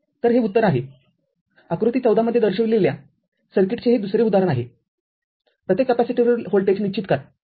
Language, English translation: Marathi, So, this is the answer another example is for the circuit shown in figure fourteen determine the voltage across each capacitor